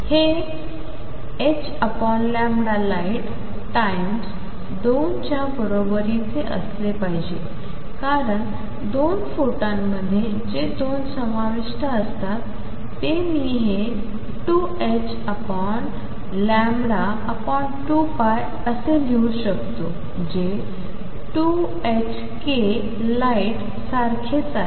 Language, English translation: Marathi, And this should be equal to h over lambda light times 2 because the 2 photons that are involved which is 2 I can write this 2 times h cross over lambda over 2 pi which is same as 2 h cross k light